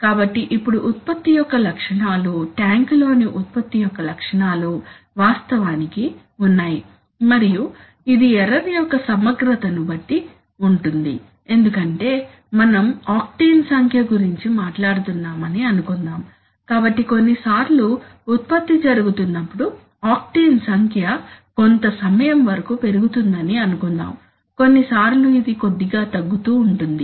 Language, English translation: Telugu, So now what is the, so the properties of the product which you, properties of the product in the tank is actually and it depends on the integral of the error because suppose we are talking of octane number, so suppose sometimes octane number is going a little high for some time when you are producing sometimes it is going a little low